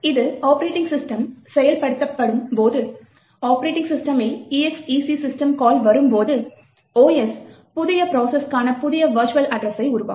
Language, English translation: Tamil, When it is executed by the operating system, so when the exec system call is invoked in the operating system, the OS would create a new virtual address base for the new process